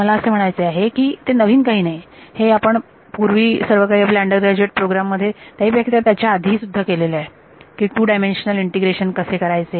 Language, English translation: Marathi, So, I mean this is nothing new we have all seen this in undergrad maybe even before undergrad when you how do how to do 2 dimensional integration